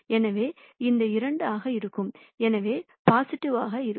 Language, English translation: Tamil, So, this is going to be 2, so positive